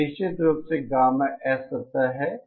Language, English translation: Hindi, This is of course the gamma S plane